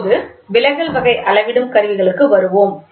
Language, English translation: Tamil, So, now let us get back to the deflection type measuring instruments